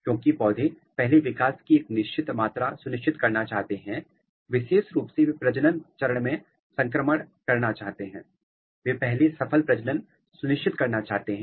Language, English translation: Hindi, Because, plant first want to ensure a certain amount of growth particularly they want to transit to the reproductive phase, they want to ensure first successful reproduction